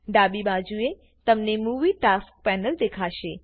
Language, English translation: Gujarati, On the left hand side, you will see the Movie Tasks Panel